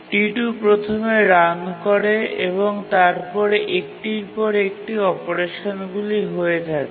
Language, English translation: Bengali, Now T2 runs first and then these are the sequence of operations they undertake